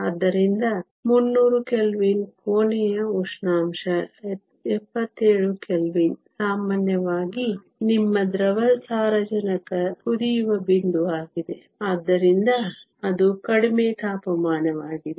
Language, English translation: Kannada, So, 300 Kelvin is room temperature 77 Kelvin is typically your liquid nitrogen boiling point, so that is a low temperature